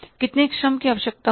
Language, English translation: Hindi, How much labor will be required